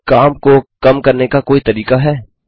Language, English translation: Hindi, Is there a way to reduce the work